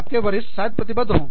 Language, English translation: Hindi, Your superior may be committed